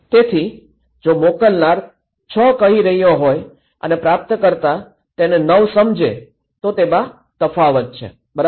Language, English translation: Gujarati, So, if the sender is saying 6 and receiver perceives as 9 is different right